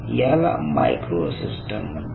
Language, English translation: Marathi, so these are all micro systems